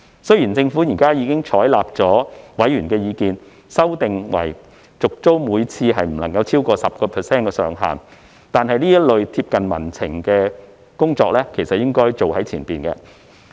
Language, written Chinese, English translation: Cantonese, 雖然政府現已採納委員的意見，修訂為每次續租不得超過 10% 上限，但這類貼近民情的工作應該一早進行。, Although the Government has now taken on board members views and proposed an amendment to revise the cap on rent increase upon tenancy renewal to 10 % such work should have been done at an early stage to keep tabs on public sentiments